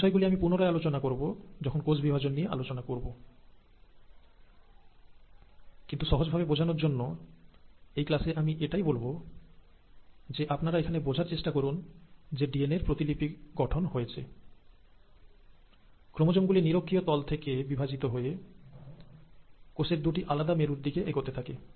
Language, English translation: Bengali, Now I’ll come to all this when we talk about cell division, but for simplicity in this class, I just want you to understand that after the DNA has duplicated, the chromosomes divide from the equatorial plane towards the two separate poles of the cell, and it is possible because of the spindle structure